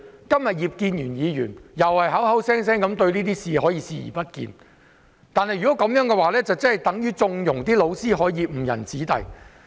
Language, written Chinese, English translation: Cantonese, 今天葉建源議員再次表現出他對這些事視而不見，這樣等同縱容教師誤人子弟。, Today Mr IP Kin - yuen turns a blind eye to all these again . This is tantamount to condoning teachers who lead their students astray